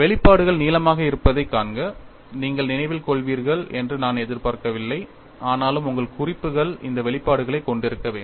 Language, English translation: Tamil, See the expressions are long; I do not expect you to remember, but nevertheless your notes should have these expressions